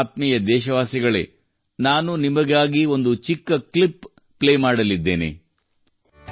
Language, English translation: Kannada, Dear countrymen, I am going to play a small clip for you…